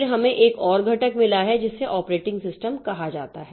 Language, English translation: Hindi, Then we have got another component which is called the operating system